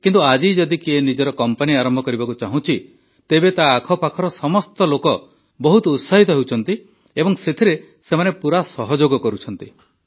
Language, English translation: Odia, But, if someone wants to start their own company today, then all the people around him are very excited and also fully supportive